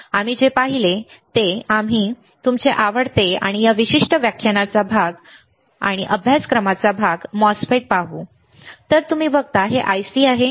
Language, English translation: Marathi, What we have seen we will also see your favourite and part of this particular lecture and the part of this particular course is the MOSFET, right